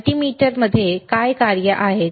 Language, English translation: Marathi, What are the functions within the multimeter